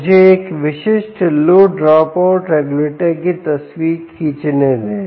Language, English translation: Hindi, let me draw the picture of a typical low dropout ah regulator inside picture